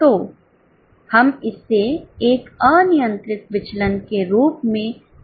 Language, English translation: Hindi, So, we can mark it as a controllable variance